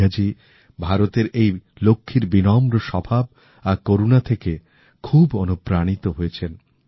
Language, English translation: Bengali, Megha Ji is truly inspired by the humility and compassion of this Lakshmi of India